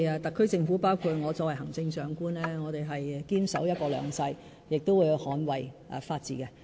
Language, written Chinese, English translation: Cantonese, 特區政府，包括我作為行政長官，我們是堅守"一國兩制"，亦會捍衞法治。, All in the SAR Government including myself as the Chief Executive have always firmly upheld one country two systems and the rule of law